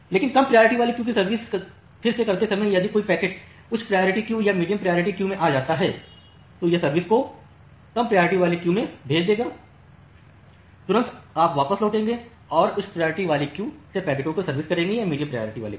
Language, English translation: Hindi, But while serving the low priority queue again if a packet comes to the high priority queue or the medium priority queue, it will preempt the service at the low priority queue immediately you will return back and the serve the packets from that high priority queue or the medium priority queue